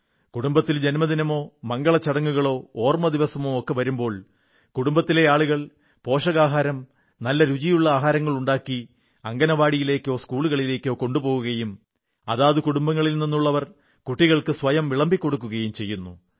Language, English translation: Malayalam, If the family celebrates a birthday, certain auspicious day or observe an in memoriam day, then the family members with selfprepared nutritious and delicious food, go to the Anganwadis and also to the schools and these family members themselves serve the children and feed them